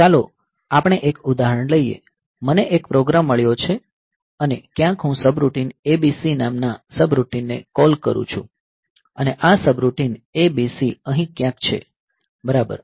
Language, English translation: Gujarati, a program and somewhere I am calling subroutine call say subroutine ABC and this subroutine ABC is somewhere here ok